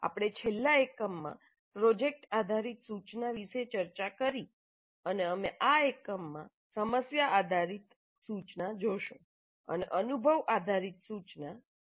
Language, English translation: Gujarati, We discussed project based instruction in the last unit and we look at problem based instruction in this unit and experience based instruction we look at it in the next unit